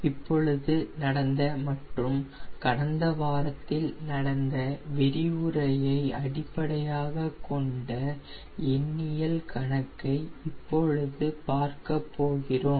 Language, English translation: Tamil, and now we will be doing a numerical based on the lecture we just saw and then what we did it in a previous week